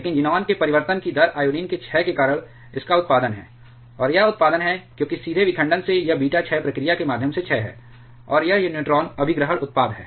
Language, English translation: Hindi, But rate of change of xenon has this its production because of the decay of iodine, and this is production because directly from the fission, this is it is decay to through the beta decay procedure, and this is the neutron capture product